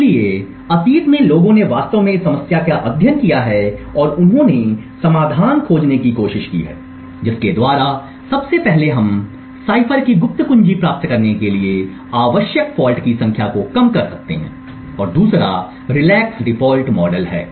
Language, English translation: Hindi, So in the past people have actually studied this problem and they have tried to find out solutions by which firstly we can reduce the number of faults that are required to obtain the secret key of the cipher and 2nd also relax default model